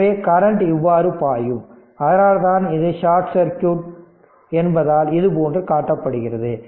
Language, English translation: Tamil, So, current will flow like this so, that is why that is why this is shown like this because it is shorted